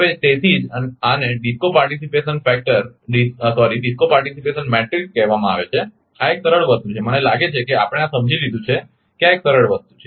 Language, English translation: Gujarati, So, that is why this is called actually DISCO participation matrix, this a simple thing, I think we have understood this ah it is a simple thing